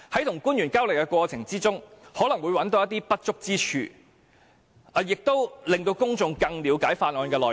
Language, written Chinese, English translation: Cantonese, 與官員交流的過程中，可能會找到一些不足之處，亦可令公眾更了解法案內容。, During the course of exchanges with government officials some inadequacies of the Bill may be identified and the public may gain a better understanding of the Bill